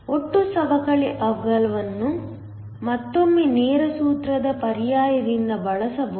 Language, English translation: Kannada, The total depletion width is again used given by a direct formula substitution